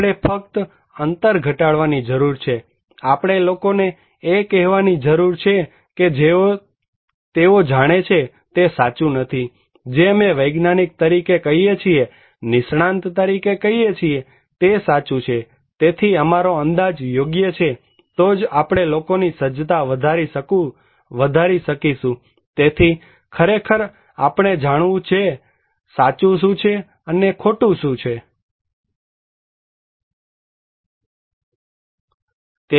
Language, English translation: Gujarati, We need to simply reduce the gap, we need to tell people that what they know is not simply true, what we are telling as a scientist, as an expert is true so, our estimation is the right, only then we can enhance people's preparedness so, actually we should know what is right, what is not wrong